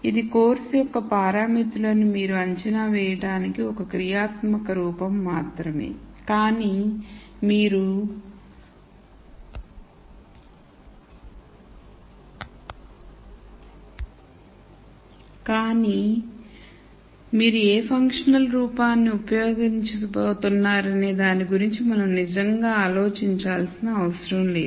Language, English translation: Telugu, It is only one functional form you have to estimate the parameters of course, but we do not have to really think about what functional form you were going to use